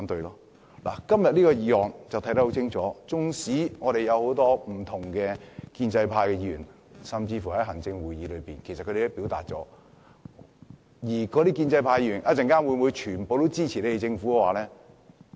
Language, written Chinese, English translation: Cantonese, 從今天討論的《條例草案》就會看得很清楚，縱使有很多建制派議員甚至行政會議成員均表達了意見，但我們稍後會否全都支持政府呢？, Todays discussion on the Bill can show our stance clearly . Although many pro - establishment Members or even Executive Council members have expressed their views will they all cast a vote of support for the Government?